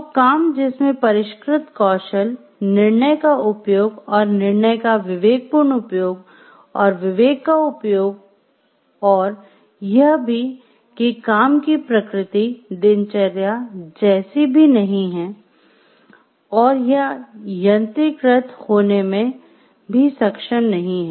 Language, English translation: Hindi, So, work that requires sophisticated skills, use of judgment and discretion, use of judgment and the exercise of discretion and, also the work is not a routine in nature and is not capable of being mechanized